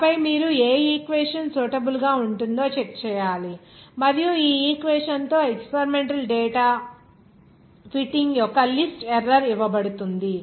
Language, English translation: Telugu, And then, you have also to check which equation will be suitable and which will be given the list error of that fitting of that experimental data with this equation